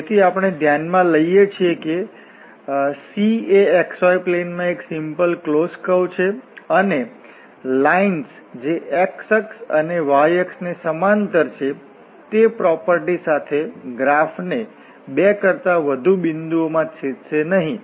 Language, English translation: Gujarati, So we consider that the C is a simple, smooth close curve in this xy plane, and with the property that the lines parallel to the axis of parallel to the x axis and the parallel to the y axis cut no more than 2 points